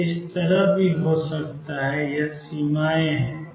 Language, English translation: Hindi, It could also be like this: these are the boundaries